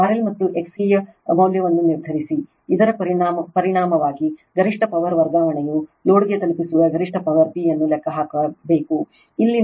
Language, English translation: Kannada, Determine the value of the R L and X C, which result in maximum power transfer you have to calculate the maximum power P delivered to the load